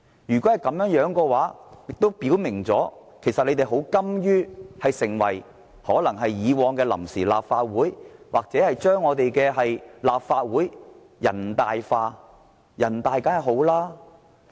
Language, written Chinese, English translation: Cantonese, 如果是這樣，亦表明了建制派其實甘於讓立法會成為以往的臨時立法會或將立法會"人大化"。, If so pro - establishment Members are actually ready to assimilate the Legislative Council to the Provisional Legislative Council or the Standing Committee of the National Peoples Congress NPCSC